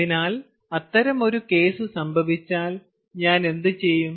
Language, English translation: Malayalam, so if such a case happens, then what do i do